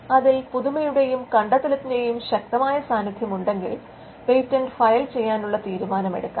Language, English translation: Malayalam, Now, if there is a strong case of novelty and inventiveness that is made out, then a decision to file a patent will be made